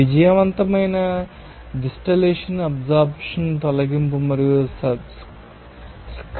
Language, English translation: Telugu, Success distillation absorption stripping and scrubbing processes